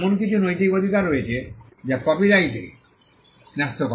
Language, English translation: Bengali, There are also certain moral rights that vest in a copyright